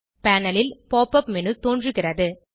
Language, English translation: Tamil, Pop up menu appears on the panel